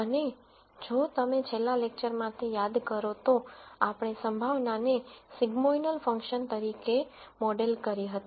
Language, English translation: Gujarati, And if you recall from the last lecture we modeled the probability as a sigmoidal Function